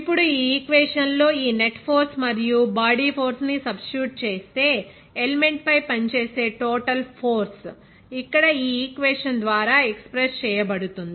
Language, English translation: Telugu, Now, substitution of this net force and the body force in this equation here of total force acting on the element that can be expressed then by this equation here